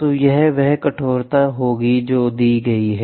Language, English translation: Hindi, So, this will be the stiffness which is given